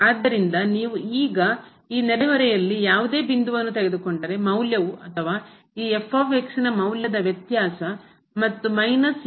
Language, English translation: Kannada, So, if you take any point in this neighborhood now, the value will be or the difference of the value of this and minus this will be less than the epsilon